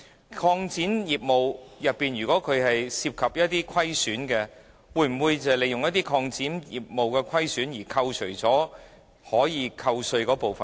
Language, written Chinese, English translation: Cantonese, 如擴展業務的活動涉及虧損，又會否利用這虧損扣除可寬減稅款的款額呢？, If operating loss is derived from activities of the expanded part of their business would the loss be absorbed when the amount of concessionary trading receipts is determined?